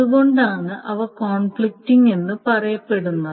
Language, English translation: Malayalam, So that is why they are said to be conflicting